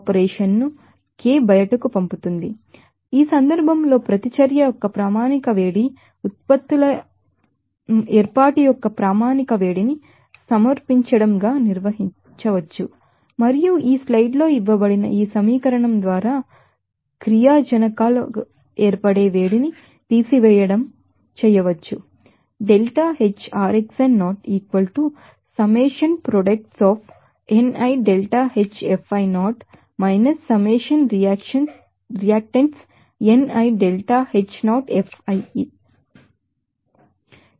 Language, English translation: Telugu, So, in this case standard heat of reaction can be, you know, defined as submission of a standard heat of formation of the products and also, you know, subtracting the summation of the heat of formation of the reactants by this equation as given in the slide